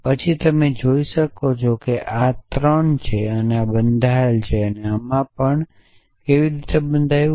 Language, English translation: Gujarati, Then you can see that this is bound this is 3; this is bound and this is also bound why